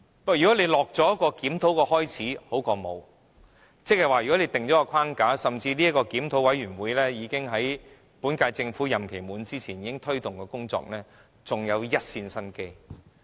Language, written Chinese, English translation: Cantonese, 但是，開始進行檢討，總比甚麼也沒有好，即是如果訂下框架，甚至這個檢討委員會在本屆政府任期完結前已經開始推動工作，還有一線生機。, Nevertheless it would be better to kick off the review now than doing nothing at all . If we can lay down a framework or even if this review committee has commenced its work before the expiry of this term of Government there will still be a glimmer of hope